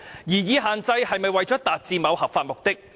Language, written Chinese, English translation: Cantonese, 擬議限制是否為了達致某合法目的？, Is the proposed restriction imposed meant to pursue a legitimate aim?